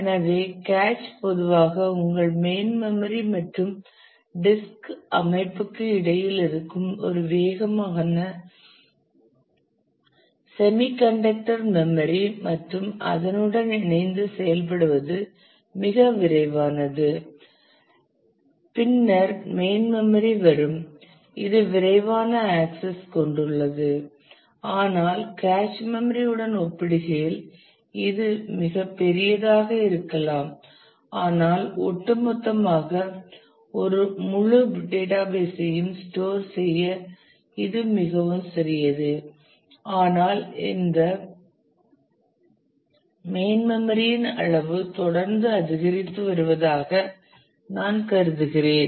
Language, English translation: Tamil, So, cache typically is a fast semiconductor memory that exist between your main memory and the disk system and it is very fast to work with then comes the main memory which is which has fast access, but compare to cache it may be may be much bigger, but overall it is too small to store an entire database, but I mean every regularly the size of this main memory is increasing